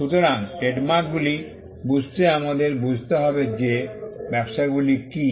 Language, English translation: Bengali, So, to understand trademarks, we need to understand what businesses are